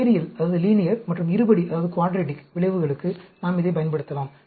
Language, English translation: Tamil, We can use it for linear and quadratic effects